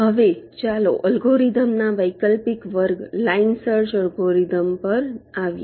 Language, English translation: Gujarati, ok, now let us come to an alternate class of algorithms: line search algorithm